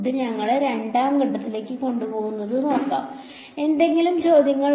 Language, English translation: Malayalam, Let see that takes us to step 2; any questions